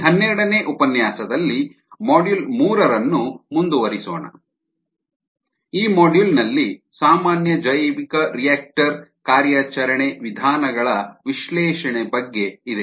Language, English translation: Kannada, in this lecture, ah number twelve, let us continue the module three, which is on analysis of the common bioreactor operation modes ah